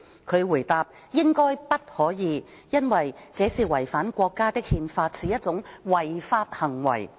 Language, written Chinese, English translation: Cantonese, 他回答："應該不可以，因為這是違反國家的《憲法》，是一種違法行為"。, He replied that it should be the case that they may not as such an act contravenes the Countrys Constitution and is an unlawful act